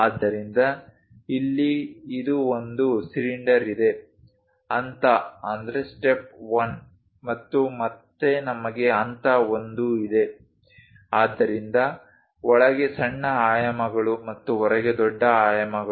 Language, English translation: Kannada, So, here it is one cylinder, a step 1 and again we have a step 1; So, smallest dimensions inside and largest dimensions outside